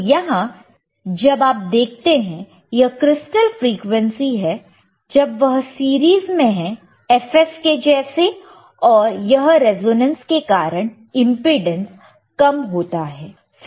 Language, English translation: Hindi, So, here when you see, this is a crystal frequency, when it is in series like ffs, and also this is resonance will cause the impedance to decrease